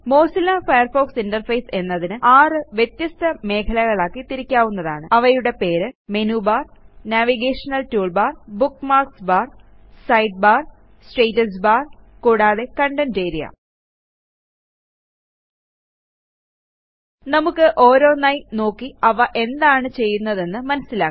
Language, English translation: Malayalam, The Mozilla Firefox interface can be split up into 6 distinct areas, namely The Menu bar the Navigation toolbar the Bookmarks bar the Side bar the Status bar and the Content area Lets look at each of these and learn what it does